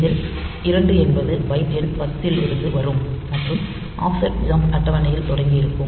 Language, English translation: Tamil, So, that case 2 will be at byte number 10 starting from the and offset jump table